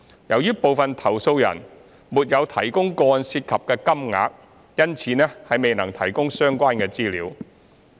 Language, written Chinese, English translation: Cantonese, 由於部分投訴人沒有提供個案涉及的金額，因此未能提供相關資料。, As some complainants did not provide the amount of money involved in the cases such information could not be provided